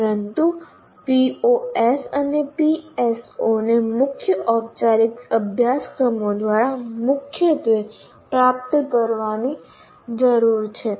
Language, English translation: Gujarati, O's and PSOs need to be attained through formal courses, core courses